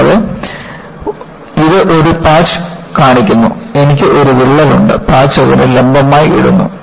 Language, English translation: Malayalam, And, this shows a patch and you find, I have a crack and the patch is put perpendicular to that